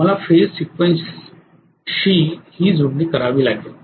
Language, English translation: Marathi, I have to match the phase sequence as well